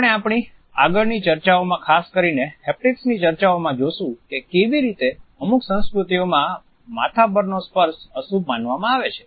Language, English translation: Gujarati, As we shall see in our further discussions particularly our discussions of haptics, we would look at how in certain cultures touching over head is considered to be inauspicious